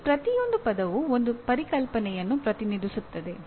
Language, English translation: Kannada, Each one of those words represents a concept